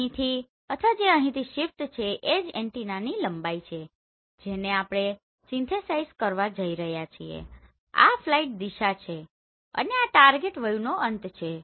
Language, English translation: Gujarati, And the shift from here or here right that is the length of the antenna we are going to synthesize and this is the flight direction this is end of target view